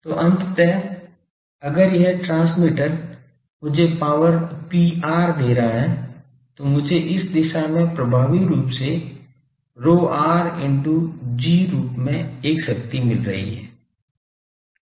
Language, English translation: Hindi, So, ultimately if this transmitter is giving me power Pr then I am getting a power from here in this direction effectively as Pr into G